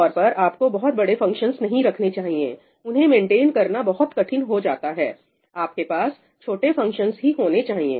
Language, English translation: Hindi, Typically you should not have very large functions that become very difficult to maintain, you should have small functions